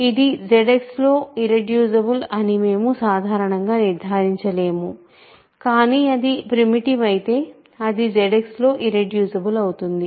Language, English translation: Telugu, We cannot conclude in general that it is irreducible in Z X, but if it is primitive, it is a irreducible in Z X